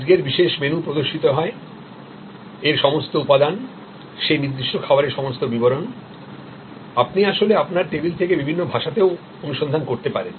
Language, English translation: Bengali, Today special menu will be shown, all the ingredients of that, all the details about that particular dish, you can actually search in various languages from your table